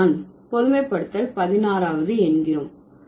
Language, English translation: Tamil, So, that is the 16th generalization